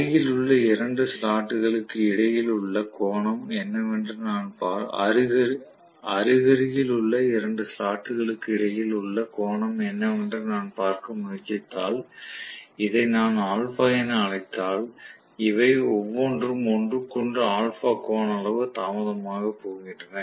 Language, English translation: Tamil, So, between the two adjacent slots if I try to see what is the angle, if I may call this as some alpha, each of these are going to be delayed from each other by an angle alpha